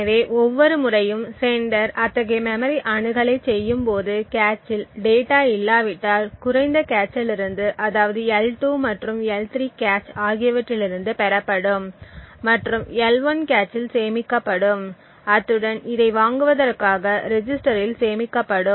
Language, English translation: Tamil, So, each time the sender actually make such a memory access, the data if it is not present in the cache would be fetched from a lower cache in this case the L2 and L3 cache and stored in the L1 cache as well as stored in a register pointed to buy this